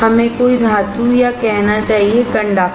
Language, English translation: Hindi, Let us say any metal or conductor